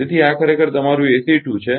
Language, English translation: Gujarati, So, this is actually your ACE 2